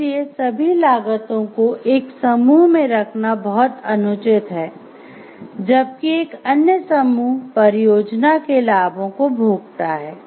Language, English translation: Hindi, So, it is very very unfair to place all of the costs on one group, but another group reaps the benefits of the project